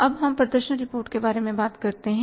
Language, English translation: Hindi, Then we prepared the performance report